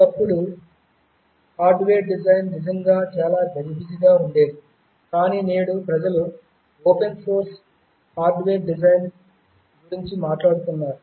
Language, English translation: Telugu, There was a time when hardware design was really very cumbersome, but today people are talking about open source hardware design